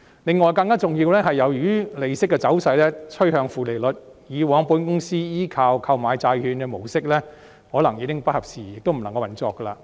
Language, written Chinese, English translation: Cantonese, 第二，更重要的是，由於利息的走勢趨向負利率，以往保險公司依靠購買債券的模式可能已經不合時宜，亦無法運作。, Second more importantly given the trend of negative interest rates the modes of operation previously adopted by insurance companies which relied on purchasing bonds may no longer be opportune and feasible